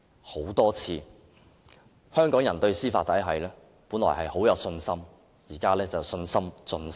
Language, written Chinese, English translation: Cantonese, 香港人本來對司法體系很有信心，但現在卻信心盡失。, Hong Kong people used to have strong faith in the judicial system but they have totally lost faith in it now